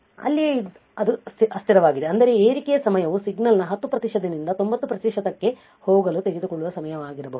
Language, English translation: Kannada, Right there is it transient; that means, that rise time might be the time it takes from signal to go from 10 percent to 90 percent